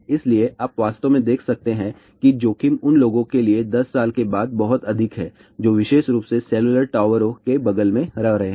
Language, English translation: Hindi, So, you can actually see that the risk is very high after 10 years of exposure specially to the people who are living next to the cellular towers